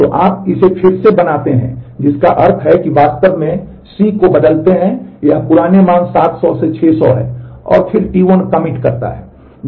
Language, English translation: Hindi, So, you redo this which means you again actually change C from it is old value 700 to 600 and then T 1 commits